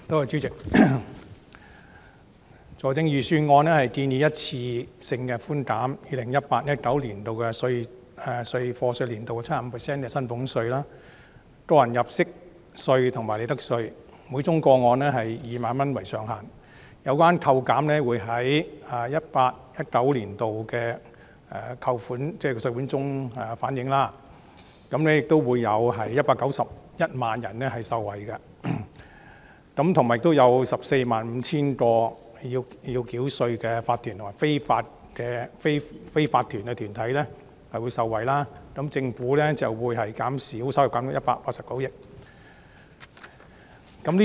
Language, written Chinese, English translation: Cantonese, 主席，財政預算案建議一次性寬減 2018-2019 課稅年度 75% 的薪俸稅、個人入息課稅及利得稅，每宗個案以2萬元為上限，有關扣減會在 2018-2019 年度的稅款中反映，會有191萬人受惠，亦有 145,000 個須繳稅的法團及非法團業務受惠，政府稅收會減少189億元。, President the Budget has proposed one - off reductions of salaries tax tax under personal assessment and profits tax for year of assessment 2018 - 2019 by 75 % subject to a ceiling of 20,000 per case . The reductions to be reflected in the tax payable for 2018 - 2019 will benefit 1.91 million people and 145 000 tax - paying corporations and unincorporated businesses . The revenue forgone amounts to 18.9 billion